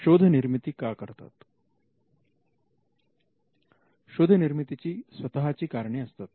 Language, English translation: Marathi, Inventions have their own reason